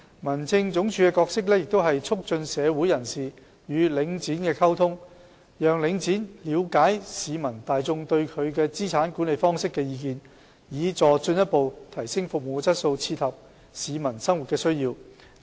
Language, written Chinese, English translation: Cantonese, 民政總署的角色是促進社會人士與領展的溝通，讓領展了解市民大眾對其資產管理方式的意見，以助進一步提升服務的質素，切合市民生活的需要。, The role of HAD is to facilitate communication between members of the community and Link REIT enabling Link REIT to understand the views of the general public on its asset management approaches so that Link REIT can further enhance its quality of service to better cater for the daily needs of the people